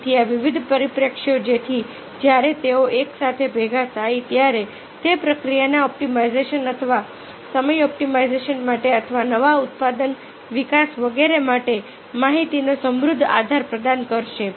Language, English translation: Gujarati, so this different prospective, shown their gather together, it will provide a reach base of information for either for process optimization or time optimization, or for new product development and so on